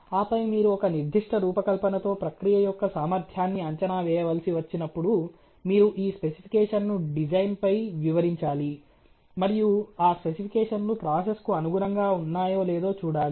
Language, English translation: Telugu, And then you when you need to estimate the capability of the process towards a certain design, you have to illustrate this specification on the design and see whether those specifications are line within the the process or visa versa